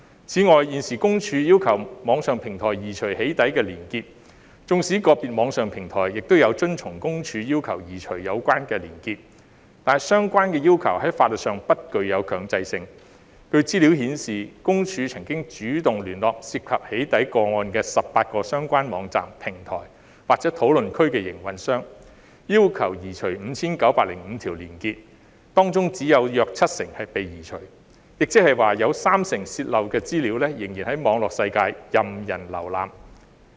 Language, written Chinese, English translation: Cantonese, 此外，現時私隱公署要求網上平台移除"起底"連結，縱使個別網上平台有遵從私隱公署要求移除有關的連結，但相關要求在法律上不具強制性。據資料顯示，私隱公署曾主動聯絡涉及"起底"個案的18個相關網站、平台或討論區的營運商，要求移除 5,905 條連結，當中只有約七成被移除，亦即有三成泄漏的資料仍然在網絡世界任人瀏覽。, Separately while PCPD has requested the online platforms to remove weblinks related to doxxing contents and some online platforms have complied with PCPDs requests such requests are not mandatory from the legal perspectiveData shows that PCPD has actively approached the operators of 18 websites platforms or discussion forums concerned urging them to remove 5 905 hyperlinks but only about 70 % have been removed . In other words 30 % of the leaked data are still available for public browsing in the online world